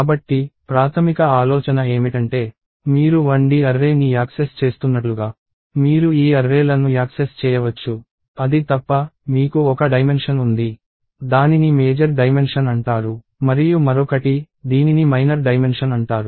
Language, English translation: Telugu, So, the basic idea is that, you can access these arrays as though you are accessing 1D array, except that, you have one dimension, which is called the major dimension; and one, which is called the minor dimension